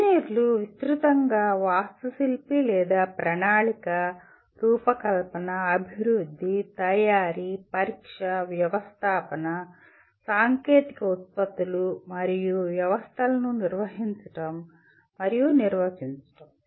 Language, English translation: Telugu, Engineers broadly architect or plan, design, develop, manufacture, test, install, operate and maintain technological products and systems